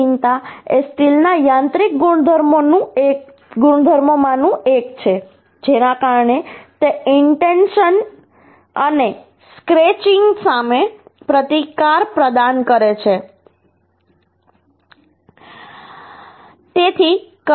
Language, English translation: Gujarati, Hardness is one of the mechanical properties of steel uhh by virtue of which it offers resistance to the and scratching